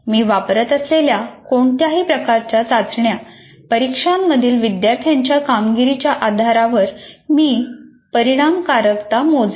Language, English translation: Marathi, So I will measure the effectiveness based on the performance of the students in the whatever kind of test assessment that I use